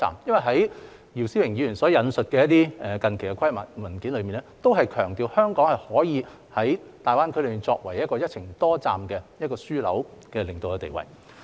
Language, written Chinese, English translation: Cantonese, 在姚思榮議員所引述的一些近期規劃文件中，也強調香港可以在大灣區作為一個"一程多站"樞紐的領導地位。, In some recent planning documents cited by Mr YIU Si - wing the leading position of Hong Kong as a multi - destination hub in GBA is also emphasized